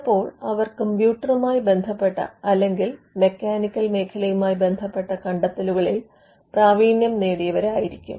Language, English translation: Malayalam, Or they could be specialized in computer related inventions or in mechanical inventions